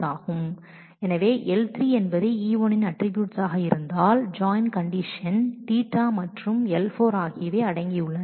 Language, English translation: Tamil, So, if L3 be the attributes of E1 that are involved in the join condition theta and L4 are what are